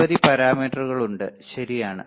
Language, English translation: Malayalam, So, many parameters are there right